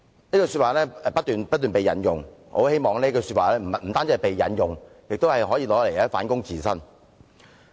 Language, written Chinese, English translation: Cantonese, "這句話不斷被引用，但我很希望這句話不單被引用，亦可用作反躬自省。, Members have indeed repeatedly quoted the saying but I hope they will also use it for self - reflection